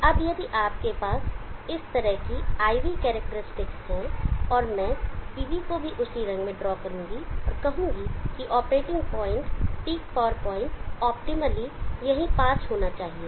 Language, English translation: Hindi, Now if you have a IV characteristic like that and I will draw the PV also with the same color, and say that the operating point the peak power point optimally should be near here